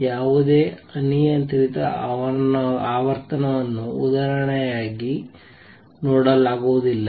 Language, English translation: Kannada, So, any arbitrary frequency cannot be seen for example